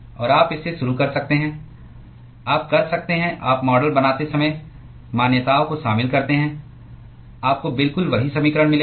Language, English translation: Hindi, And you can start from you can you incorporate the assumptions while building the model you will get exactly the same equation